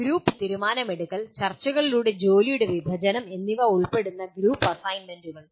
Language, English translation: Malayalam, Group assignments that involve group decision making, division of work through negotiations